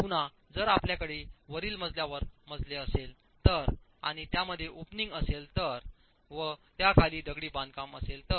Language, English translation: Marathi, Again, if you have in the floor above, in the story above, you have an opening that is occurring and you have masonry below the opening